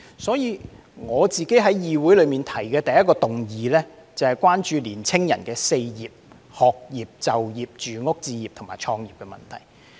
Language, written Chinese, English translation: Cantonese, 所以，我在議會提出的第一項議案是關注青年人的 "4 業"，即學業、就業、住屋置業和創業的問題。, Therefore the first motion that I proposed in this Council was a four - pronged motion on caring about the education employment housing home acquisition and business start - up problems faced by young people